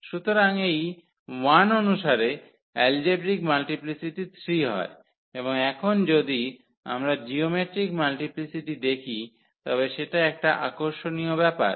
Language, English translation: Bengali, So, corresponding to this 1 so; algebraic multiplicity is 3 and if we compute the geometric multiplicity now that is interesting